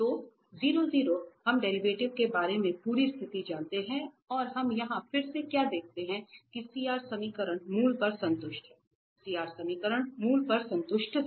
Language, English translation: Hindi, So at 0 0 we know the whole situation about the derivatives and what we observe here again, that the CR equations are satisfied at this origin, we are talking about the origin